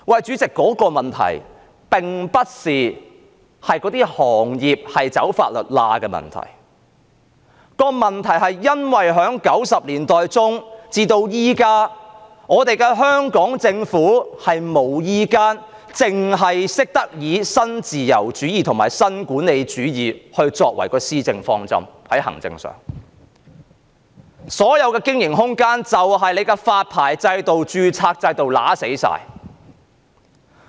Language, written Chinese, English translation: Cantonese, 主席，這個問題不是行業"走法律罅"的問題，而是因為1990年代中到現在，香港政府只懂以新自由主義和新管理主義作為施政方針，所有經營空間都被發牌制度和註冊制度扼殺。, Chairman the problem is not about the sector taking advantage of a legal loophole . But rather it is about the Hong Kong Governments bigotry of adopting neoliberalism and neo - managerialism as its administrative principle since the mid - 1990s . The licensing system and registration system have taken away the room for these trades to operate